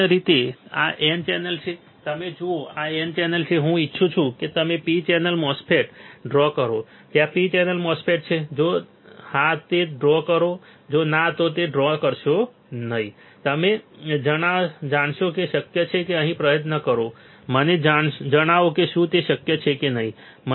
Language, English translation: Gujarati, In the similar fashion this is N channel you see this is N channel, I want you to draw a P channel MOSFET is there P channel MOSFET if yes draw it if there is no then do not draw it tell me whether it is possible or not try and let me know whether it is possible or not whether we can understand where we can write down we can write down the process flow of how to design or how to fabricate N channel and P channel MOSFETs all right